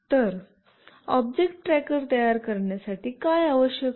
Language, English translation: Marathi, So, what is the requirement for building an object tracker